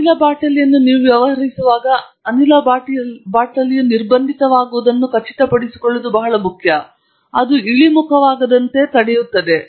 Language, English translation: Kannada, So, therefore, a very important thing to do when you are dealing with gas bottles is to ensure that the gas bottle is constrained, restrained such that it cannot fall down